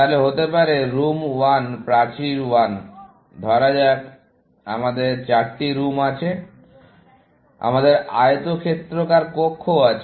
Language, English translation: Bengali, Then, may be, room 1, would say, wall 1, up to, let say, we have 4 rooms; we have rectangular rooms